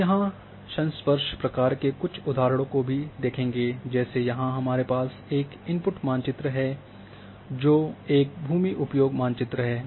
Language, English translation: Hindi, We will see some examples here also in contiguity function like here we are having here you know one input map is here which is a land cover map or land use map